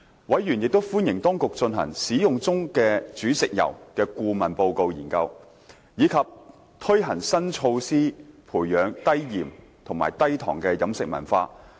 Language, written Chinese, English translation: Cantonese, 委員亦歡迎當局進行"使用中的煮食油"的顧問研究，以及推行新措施培養低鹽和低糖的飲食文化。, Members also welcomed the Administrations consultancy study on cooking oils in use and the introduction of new measures to cultivate a low - salt - low - sugar dietary culture